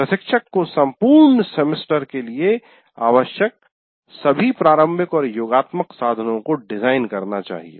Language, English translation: Hindi, So the instructor should be designing all formative and summative instruments needed for the entire semester